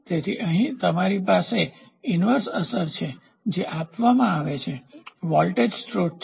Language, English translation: Gujarati, So, here you have inverse effect which is given; so, voltage source